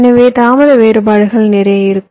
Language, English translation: Tamil, so there will be lot of delay variations